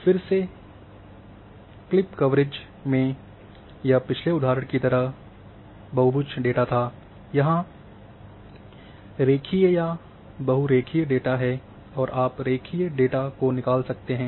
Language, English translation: Hindi, Again in clip coverage is same as in the previous example this was the polygon data, here is the line or polyline data and you can extract even line data